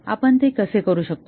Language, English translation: Marathi, How do we do that